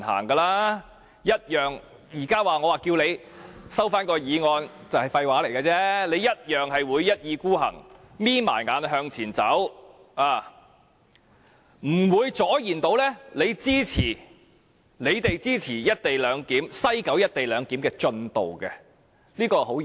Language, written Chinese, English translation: Cantonese, 我現在請它收回議案，其實也只是廢話，因為它同樣會一意孤行，閉着眼向前走，我們是無法阻延他們推展西九"一地兩檢"的，這是相當現實的事情。, Now it is actually pointless for me to request it to withdraw the motion because it will obstinately stick to its course close its eyes and press ahead . There is no way we can delay it from pushing ahead with the co - location arrangement in West Kowloon . This is the reality